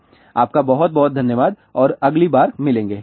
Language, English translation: Hindi, Thank you very much and see you next time, bye